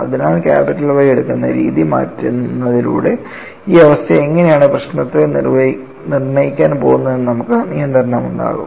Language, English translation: Malayalam, So, by changing what way we take capital Y, we would have control on how this condition is going to dictate the problem